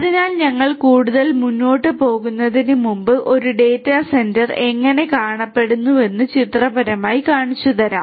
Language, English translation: Malayalam, So, before we go any further let me just show you pictorially how a data centre looks like